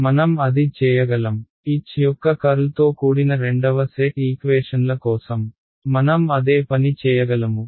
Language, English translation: Telugu, I can do the same thing; I can do the same thing for the second set of equations involving curl of H